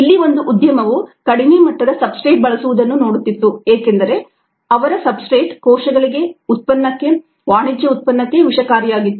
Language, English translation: Kannada, this industry was a looking at ah using low levels of substrate, because the substrates was toxic to the cells for their one, a product, commercial product